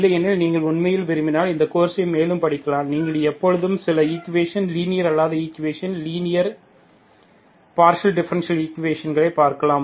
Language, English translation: Tamil, Otherwise what, if you really want to, further to this course, you can always look at certain equations, nonlinear equations, non linear partial differential equations you can study